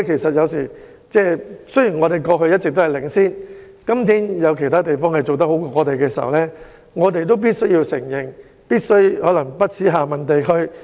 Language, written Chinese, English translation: Cantonese, 雖然香港過去一直領先，但有其他地方比我們做得好時，我們就必須承認和反思。, Even though Hong Kong was in the lead in the past but when other places have done better than us we must admit it and engage in soul - searching